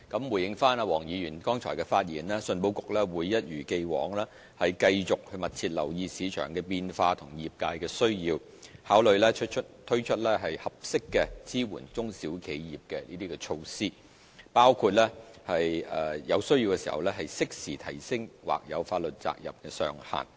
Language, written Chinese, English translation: Cantonese, 回應黃議員剛才的發言，信保局會一如既往，繼續密切留意市場的變化和業界的需要，考慮推出適合支援中小企業的措施，包括在有需要時適時提升或有法律責任的上限。, In response to the speech made earlier by Mr WONG ECIC will as always keep paying close attention to market changes and the sectors needs and consider introducing appropriate support measures for small and medium enterprises including raising the cap on contingent liability in a timely manner if necessary